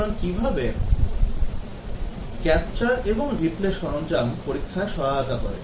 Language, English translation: Bengali, So, how does a capture and replay tool help in testing